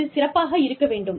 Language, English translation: Tamil, This is going to be good